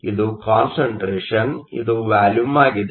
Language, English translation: Kannada, So, this is the concentration, this is the volume